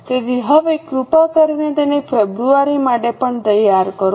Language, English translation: Gujarati, So, now please prepare it for February also